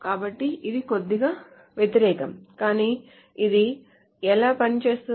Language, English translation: Telugu, So this is a little counterintuitive but this is how the thing works